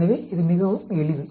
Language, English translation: Tamil, So, it is quite simple